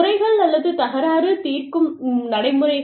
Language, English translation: Tamil, Grievance or dispute resolution procedures